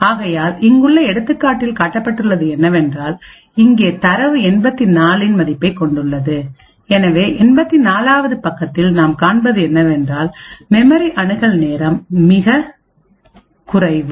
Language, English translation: Tamil, So over here for example the data has a value of 84 and therefore at the 84th page what is observed is that there is much lesser memory access time